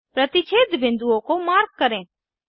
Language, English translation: Hindi, Mark points of intersection